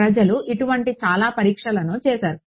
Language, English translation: Telugu, Now people have done these tests a lot right